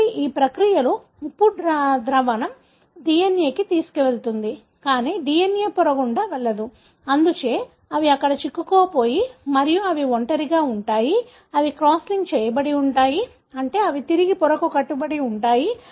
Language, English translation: Telugu, So, in this process, the salt solution would also carry the DNA and, but the DNA cannot pass through the membrane, therefore they are stuck there and they are single stranded, they are cross linked, meaning they are irreversibly bound to the membrane